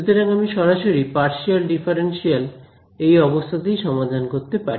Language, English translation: Bengali, So, I can solve them directly in partial in that differential form